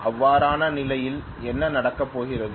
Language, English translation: Tamil, That is what it is going to do